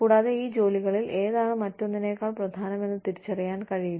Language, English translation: Malayalam, And, may not realize, which of these jobs is, more important than the other